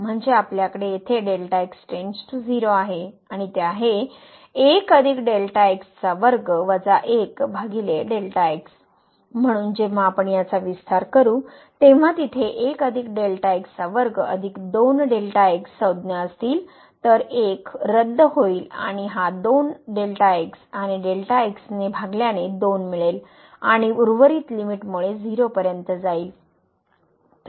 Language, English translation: Marathi, So, this one when we expand this there will be 1 square plus 2 terms so, 1 1 will get cancel and this 2 and divided by will give you a 2 and the rest because of the limit will go to 0